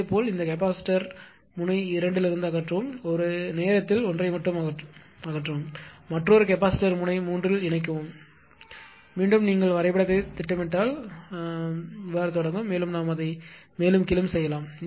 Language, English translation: Tamil, Similarly remove this capacitor from node 2 remove this just one at a time just one at a time connect another capacitor at node 3, and again you again again if you ah plot the graph then again somewhere it will start and we gain it may go further down right